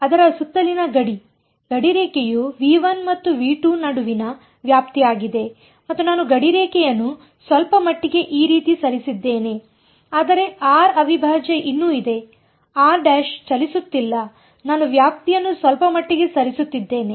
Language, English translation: Kannada, The boundary around it; the boundary is the boundary between V 1 and V 2 and I have I have pushed the boundary little bit this way, but r prime is still there; r prime is not moving I am moving the boundary a little bit